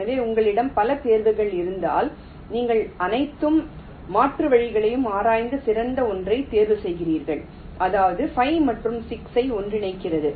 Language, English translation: Tamil, so this example shows if you have multiple choices, you explore all the alternatives and select the best one, and that there is namely merging five and six